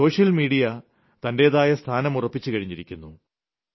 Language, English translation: Malayalam, Social media has created an identity of its own